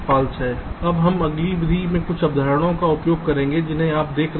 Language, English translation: Hindi, now we shall be using some concepts in the next method that you shall be looking at